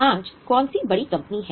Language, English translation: Hindi, Today which are the big companies